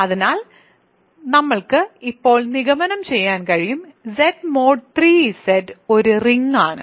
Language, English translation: Malayalam, So, we are able to conclude now, Z mod 3 Z is a ring ok